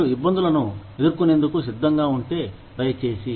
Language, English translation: Telugu, If you are willing to face, those difficulties, please